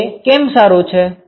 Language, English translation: Gujarati, why is that